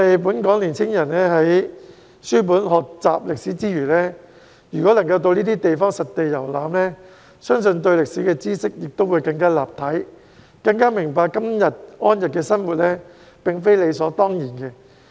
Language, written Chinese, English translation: Cantonese, 本港年輕人在書本學習歷史之餘，如果能夠到這些地方實地遊覽，相信對歷史的知識會更立體，更加明白今天安逸的生活並非理所當然。, If young people in Hong Kong can make site visits to these places in addition to learning history from books I believe they will have a more comprehensive knowledge of history and appreciate more deeply that their comfortable life today should not be taken for granted